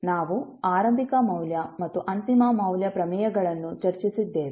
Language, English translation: Kannada, We also discussed initial value and final value theorems